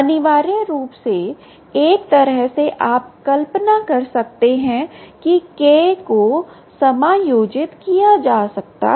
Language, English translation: Hindi, essentially, in a way, you can imagine that k can be adjusted